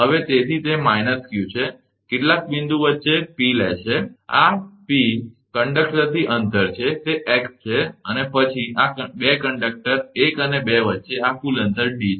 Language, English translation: Gujarati, So, hence it is a minus q and take in between some point P, P is the distance from this conductor, that is x and then these total distance between this 2 conductor 1 and 2 is D